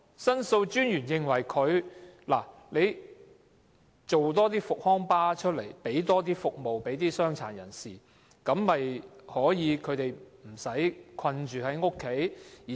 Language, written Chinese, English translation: Cantonese, 申訴專員亦認為，運輸署應提供更多復康巴士，服務傷殘人士，令他們不用困在家中。, The Ombudsman also opined that the Transport Department should provide more rehabilitation buses to serve people with disabilities so that they do not have to stay at home all the time